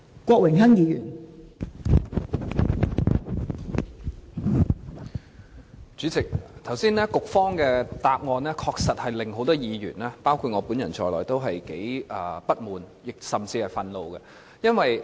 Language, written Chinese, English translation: Cantonese, 代理主席，局長剛才的答案確實令很多議員，包括我本人在內都感到不滿，甚至憤怒。, Deputy President the Secretarys answer surely disappointed many Members including me . They are even furious